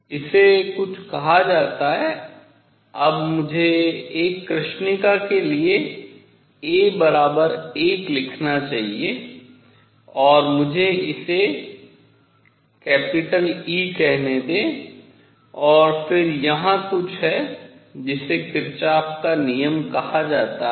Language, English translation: Hindi, This is something called; now I should write a is equal to 1 for a black body and let me call this E for a black body, and then there is something called Kirchhoff’s rule